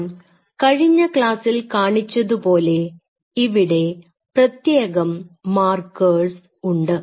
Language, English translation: Malayalam, What I showed you in the last class, that you have to have those unique markers